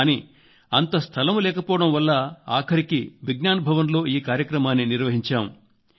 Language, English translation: Telugu, However due to space constraint, the program was eventually held in Vigyan Bhawan